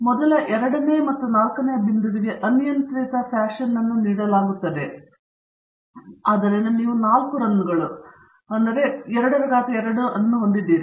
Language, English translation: Kannada, The first second third and fourth are given arbitrary fashion, so you have 4 runs, 2 power 2